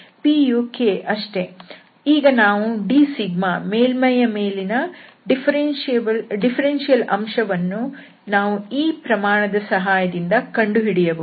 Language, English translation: Kannada, So, p is simply k and then we can compute this d sigma that is the differential element on the surface with the help of this expression